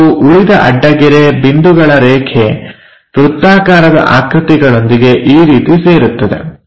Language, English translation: Kannada, And the remaining dash, dot lines coincides with this circular positions something like that